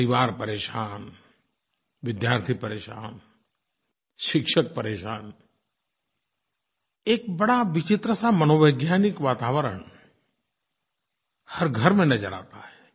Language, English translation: Hindi, Troubled families, harassed students, tense teachers one sees a very strange psychological atmosphere prevailing in each home